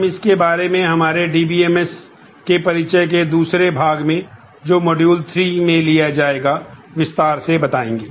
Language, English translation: Hindi, We will elaborate on this more in the second part of our introduction to DBMS which will be taken up in module